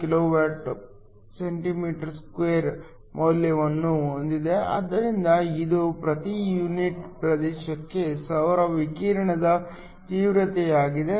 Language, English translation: Kannada, 35 kWcm2 so this is the intensity of the solar radiation per unit area